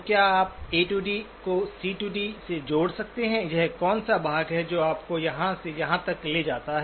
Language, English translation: Hindi, So can you link the A to D to the C to D, what is the part that takes you from here to here